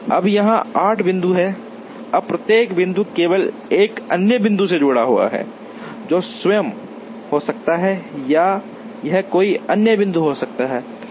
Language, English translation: Hindi, Now, there are 8 points here, now each point is attached to only one other point, which could be itself or it could be some other point